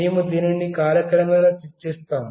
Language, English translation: Telugu, We will discuss about this in course of time